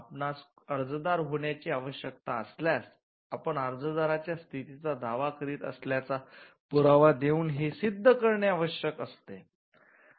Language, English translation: Marathi, If you need to be an applicant, you need to demonstrate by what proof you are claiming the status of an applicant